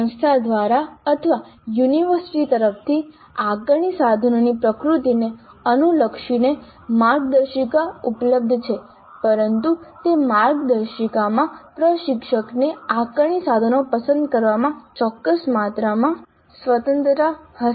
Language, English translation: Gujarati, There are guidelines possibly available either from the institute or from the university as to the nature of assessments, assessment instruments allowed, but within those guidelines instructor would be having certain amount of freedom in choosing the assessment instruments